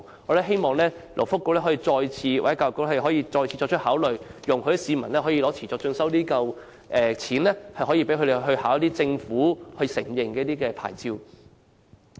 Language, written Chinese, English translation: Cantonese, 我們希望勞工及福利局或教育局再次考慮，容許市民使用持續進修基金的津貼來考取政府所承認的牌照。, We hope the Labour and Welfare Bureau or the Education Bureau EDB will reconsider and allow citizens to use the CEF subsidy for obtaining government - recognized licences